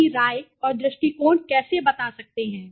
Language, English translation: Hindi, How do you communicate your opinions and attitudes